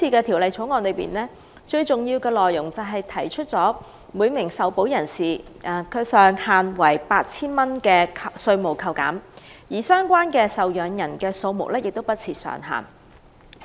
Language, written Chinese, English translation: Cantonese, 《條例草案》主要為每名受保人提供 8,000 元上限的稅務扣減，而相關受保人的數目不設上限。, The Bill mainly seeks to provide a tax deduction subject to the ceiling of 8,000 for each insured person without setting a cap on the number of the insured persons concerned